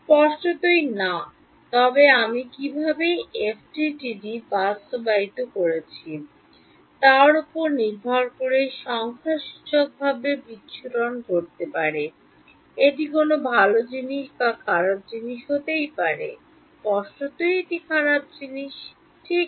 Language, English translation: Bengali, Obviously, no; but numerically dispersion may happen depending on how I have implemented FDTD so, would it be a good thing or a bad thing; obviously, a bad thing right